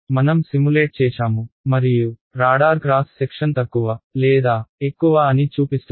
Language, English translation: Telugu, I simulate and show that the radar cross section is less or more